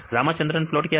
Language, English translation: Hindi, What is Ramachandran plot